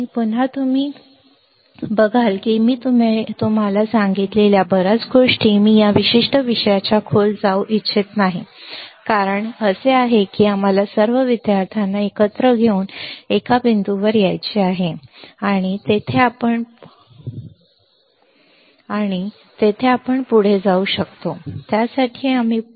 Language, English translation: Marathi, Again you see that a lot of things I told you that I do not want to go into deep depth of this particular topic the reason is that we have to take all the students together and come toward come to a point there we can advance further there we can advance for that